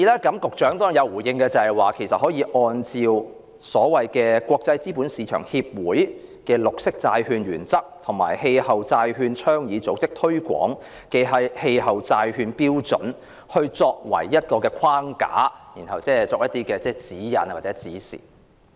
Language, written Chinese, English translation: Cantonese, 局長對此亦有回應，他說"綠色"的標準可以國際資本市場協會的《綠色債券原則》和氣候債券倡議組織所推廣的《氣候債券標準》作為框架，然後作出一些指引或指示。, The Secretary has given a response to it . He said that the Green Bond Principles by the International Capital Market Association and the Climate Bonds Standard advocated by the Climate Bonds Initiative can be adopted as the framework for the standards of green under which some guidelines or instructions would be given